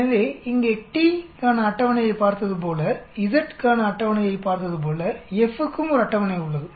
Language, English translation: Tamil, So there is a table for F here also, just like we saw table for t, we saw table for z